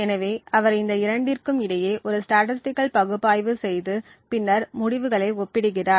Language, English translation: Tamil, So, he performs a statistical analysis between these two and then compares the results